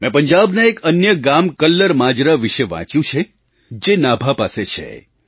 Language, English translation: Gujarati, I have also read about a village KallarMajra which is near Nabha in Punjab